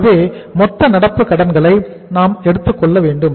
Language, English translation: Tamil, So we will have to take the total current liabilities